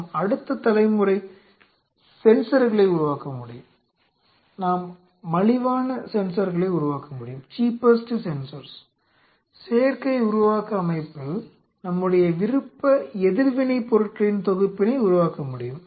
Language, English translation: Tamil, We can create next generation sensors, we can create the cheapest sensors we can have we can produce our own set of anti bodies in an artificial synthetic system